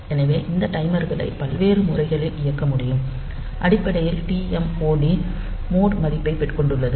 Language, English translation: Tamil, So, this will tell this timers will see that they can be operated in various different modes, and this TMOD is basically holding the mod value